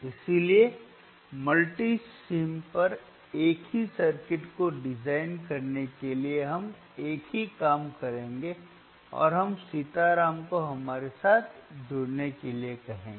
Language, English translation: Hindi, So, for designing the same circuit on the mMulti samesim, we will do the same thing and we will ask Sitaram to join us